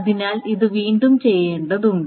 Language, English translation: Malayalam, So this needs to be redone